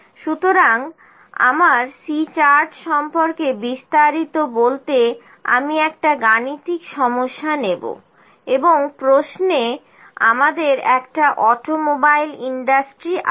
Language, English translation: Bengali, So, next I will take a numerical problem to elaborate my C chart and in the question we have in an automobile industry